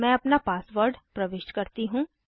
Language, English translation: Hindi, So let me enter my password